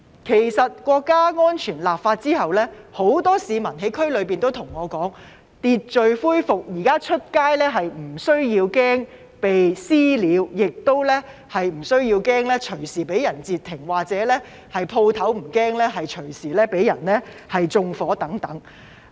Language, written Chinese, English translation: Cantonese, 其實，《香港國安法》制定後，區內很多市民向我表示，秩序恢復，現在外出不用怕被"私了"或隨時被人截停，店鋪不用擔心隨時被人縱火等。, In fact following the enactment of the National Security Law many residents in the local districts have told me that as order has been restored they need not be fearful of being subject to vigilante attacks or being intercepted at any time when going out and they need not worry about their shops being set on fire at any time